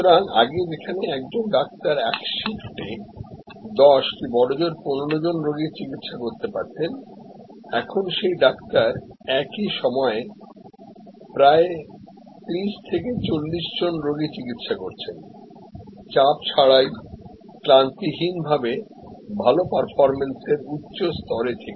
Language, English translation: Bengali, So, as suppose to 10 patients who could be treated or 15 patients by a doctor in the whole shift, the same doctor could now atleast treat may be 30 patients, 40 patients without fatigue, without stress and at a higher level of good performance